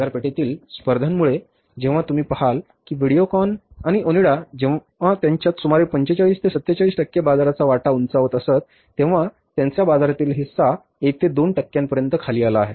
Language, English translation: Marathi, So, because of the competition in the market at the time you see that when the Videocon and Onida they had about say 45 to 47 percent market share, today their market share has come down to 1 to 2 percent